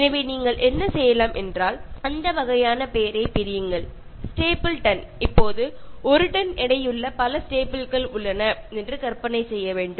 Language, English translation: Tamil, So, what you can do is, you can separate, so then you identify Staple and ton and then you have to imagine so many staples that weigh a ton